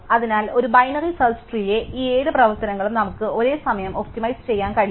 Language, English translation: Malayalam, So, we will simultaneously be able to optimize, all these 7 operations in a binary search tree